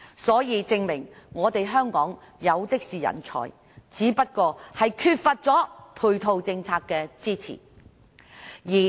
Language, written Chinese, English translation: Cantonese, 這證明香港有的是人才，只是缺乏配套政策的支持。, It proves that there are talents in Hong Kong . Only that support of a corresponding policy is lacking